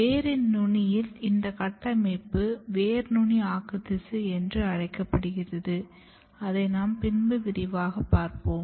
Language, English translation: Tamil, And at the very tip of the root, this structure is called root apical meristem which we will look in detail